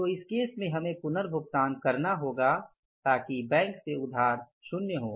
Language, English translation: Hindi, Now in this case we will have to make the repayment back to the bank so it means borrowing from the bank is nil